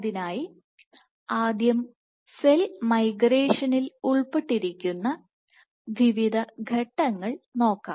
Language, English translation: Malayalam, So, for that let us first look at the various steps which are involved in cell migration